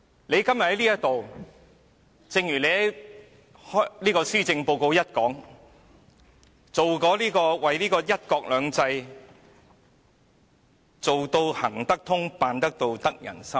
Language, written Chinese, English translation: Cantonese, 你今天在這裏，正如你在施政報告開首表示，為"一國兩制"做到"行得通、辦得到、得人心"。, Today you are here talking about your words at the beginning of the Policy Address to ensure that one country two systems is a workable solution and an achievable goal welcomed by the people